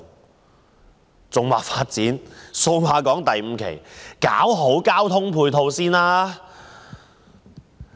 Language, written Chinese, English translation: Cantonese, 我認為與其發展數碼港第五期，不如先搞好交通配套。, In my opinion instead of developing Cyberport 5 the Government should better improve the transport ancillary facilities